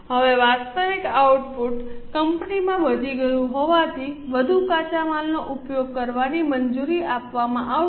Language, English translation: Gujarati, Now since the actual output has increased to 600 company will be permitted to use more raw material